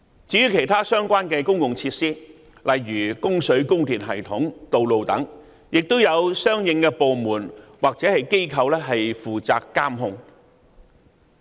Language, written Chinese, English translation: Cantonese, 至於其他相關的公用設施，例如供水、供電系統和道路等，亦有相應的部門或機構負責監察。, As regards other public utilities such as the water supply and electricity supply systems and roads there are also corresponding departments or companies responsible for monitoring them